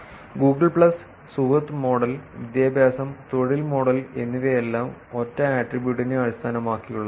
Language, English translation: Malayalam, For Google plus, friend model and education and employment model all of them based on single attribute